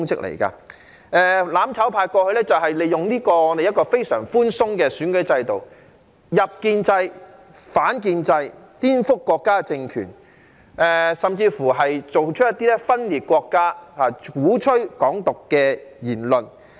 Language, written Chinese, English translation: Cantonese, "攬炒派"過去利用這個非常寬鬆的選舉制度，"入建制、反建制"，顛覆國家政權，甚至作出一些分裂國家、鼓吹"港獨"的言論。, In the past the mutual destruction camp made use of this very lenient electoral system to enter the establishment but oppose the establishment subvert the State power and even make some remarks advocating secession and Hong Kong independence